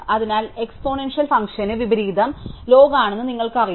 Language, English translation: Malayalam, So, you know that for the exponential function, the inverse is the log